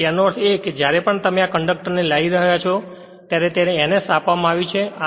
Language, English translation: Gujarati, So that means, that means whenever this the when you are bringing this conductor say bringing this it is given N S, N S like this